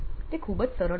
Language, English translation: Gujarati, It is very simple